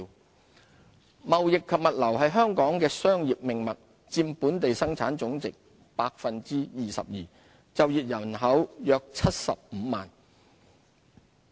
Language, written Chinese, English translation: Cantonese, 貿易及物流貿易及物流是香港商業的命脈，佔本地生產總值 22%， 就業人口約75萬。, Being the lifeline of Hong Kongs business the trading and logistics industry accounts for 22 % of our GDP and employs about 750 000 people